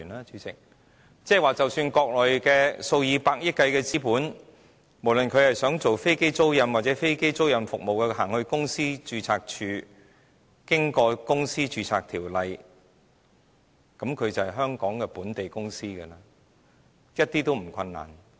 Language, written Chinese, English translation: Cantonese, 主席，即是說國內數以百億元計的資本，不論是想進行飛機租賃或其他服務，只要去到公司註冊處，經過相關條例註冊，它就是香港本地公司，是毫不困難的。, Chairman that is to say the Mainland capital amounting to tens of billions of dollars which may like to engage in aircraft leasing or other services can easily become a Hong Kong corporation with a registration done under the relevant legislation in the Companies Registry